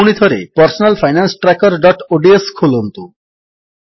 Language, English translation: Odia, Now open the Personal Finance Tracker.ods file again